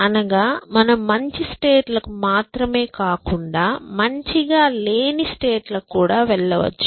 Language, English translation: Telugu, It does not means that you can only go to better states; you can go to states which are not necessarily better